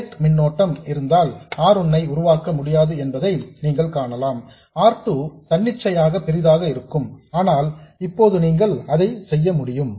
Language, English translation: Tamil, You will see that if there is a gate current then you can't make R1 and R2 arbitrarily large but now you can